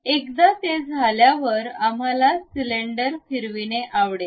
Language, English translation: Marathi, Once it is done, we would like to revolve a cylinder